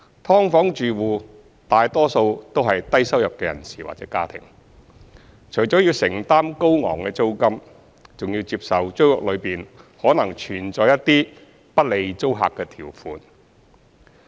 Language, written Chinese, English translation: Cantonese, "劏房"住戶大多數為低收入人士或家庭，除了需要承擔高昂租金，還要接受租約內可能存在一些不利租客的條款。, Most who live in SDUs are low - income individuals or families . They not only have to pay high rents but also have to accept the terms in the tenancy agreement that may be unfavourable to the tenants